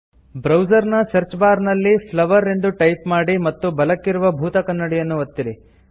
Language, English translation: Kannada, In the browsers Search bar, type flowers and click the magnifying lens to the right